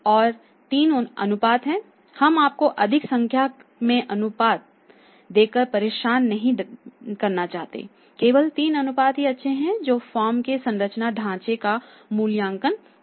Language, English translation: Hindi, And there are three ratios we will not put you in trouble by giving you more number of the ratios only 3 ratios are enough to evaluate the operating structure of the firm 3 ratios are enough there good enough